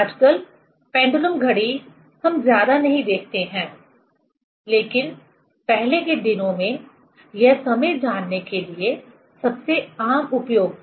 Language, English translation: Hindi, Pendulum clock nowadays, we do not see much; but earlier days this was the most common use to know the time